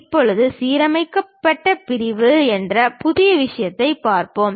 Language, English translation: Tamil, Now, we will look at a new thing named aligned section